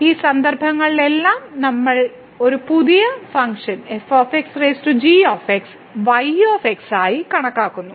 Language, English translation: Malayalam, In all these cases we consider a new function here y as power this one